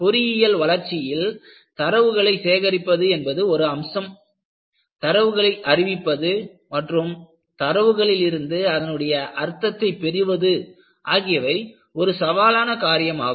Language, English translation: Tamil, So, if you look at any development engineering, collecting data is one aspect of it; reporting data and trying to find out a meaning from the data, is equally challenging